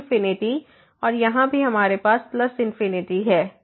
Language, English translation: Hindi, So, infinity and here also we have plus infinity plus infinity